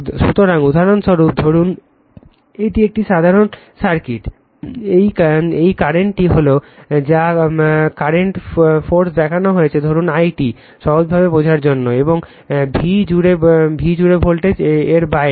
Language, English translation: Bengali, So, for example, suppose this is simple circuit, this current is current sources shown say it is i t for easy understanding, and voltage across v’s beyond this